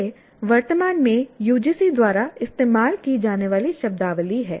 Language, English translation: Hindi, This is the terminology presently used by UGC